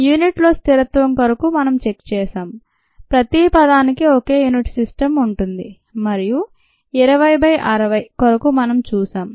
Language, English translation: Telugu, we have checked for the consistency in unit each term having the same system of unit's and the need ah for twenty by sixty